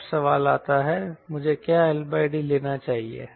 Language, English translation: Hindi, ok, now the question comes what l by d i should take